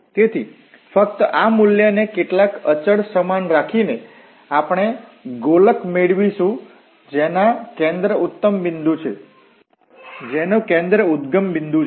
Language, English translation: Gujarati, So, by just putting this value equal to some constant, we will get the spheres which are centered at the origin